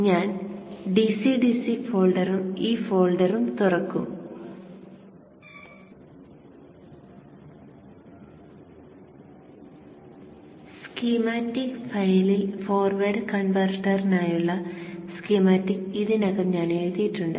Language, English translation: Malayalam, I will open the DCDC folder and in this folder I have already written the schematic for the forward converter in the schematic file